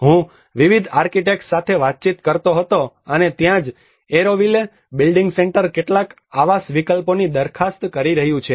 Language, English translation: Gujarati, I was interacting with various architects and that is where the Auroville building centre is proposing up some housing options